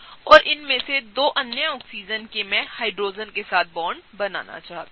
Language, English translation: Hindi, And 2 of these other Oxygen’s I want to bond with the Hydrogen’s, right